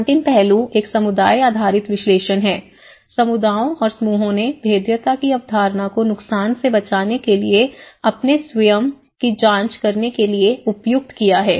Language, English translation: Hindi, The last aspect is a community based analysis here, the communities and the groups appropriate the concept of vulnerability to inquire their own expose to damage and loss